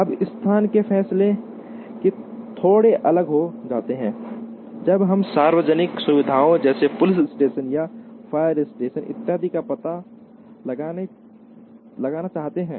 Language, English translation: Hindi, Now, the location decisions also become slightly different when we want to locate public facilities such as a police station or a fire station, etcetera